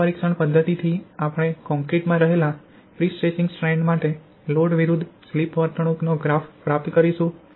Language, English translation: Gujarati, From this test method we will obtain the load versus slip behaviour for the prestressing strands in concrete